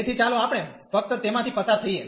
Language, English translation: Gujarati, So, let us just go through